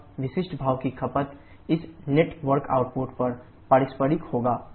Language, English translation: Hindi, 61% and the specific steam consumption will be the reciprocal of this network output